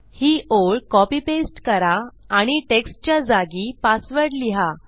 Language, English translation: Marathi, Copy paste this line and change text to password